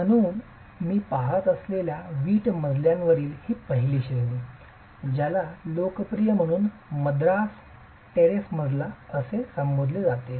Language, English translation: Marathi, So, this first category of brick floors that I'm looking at is referred to as quite popularly as the Madras Terrace floor